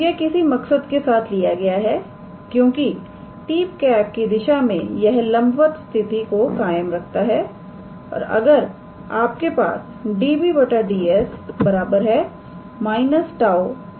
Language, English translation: Hindi, So, it is taken purposely because in the direction of t, so that it maintains that perpendicularity condition that if you have db ds as minus of n